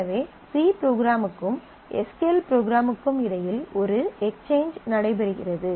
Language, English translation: Tamil, So, there is a there is a exchanges going on between the c program and SQL program